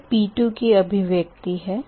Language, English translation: Hindi, so this is p two expression